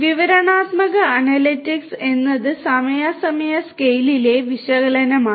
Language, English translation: Malayalam, Descriptive analytics is about analysis in the current time scale